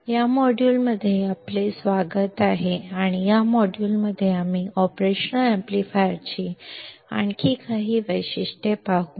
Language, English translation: Marathi, Welcome to this module and in this module, we will see some more characteristics of an operational amplifier